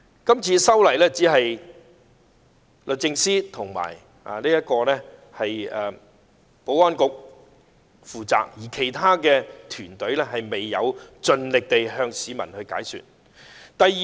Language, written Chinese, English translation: Cantonese, 這次修例的工作只交由律政司及保安局負責，而其他團隊未有盡力向市民解說。, The legislative amendment exercise was the responsibility of the Department of Justice and the Security Bureau . Other members of the team did not do their best to explain it to the citizens